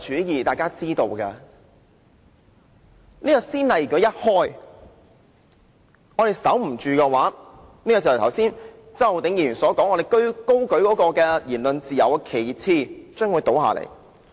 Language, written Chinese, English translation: Cantonese, 如果這先例一開，我們的防線失守的話，便正如周浩鼎議員剛才所說，我們高舉的言論自由旗幟將會倒下。, If a precedent is set and our line of defence is breached the banner of freedom of speech that we hold high will fall as indicated by Mr Holden CHOW just now